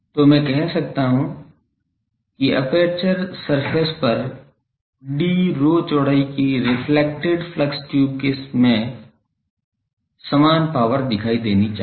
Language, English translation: Hindi, So, I can say that the same power must appear in the reflected flux tube of width d rho on the aperture surface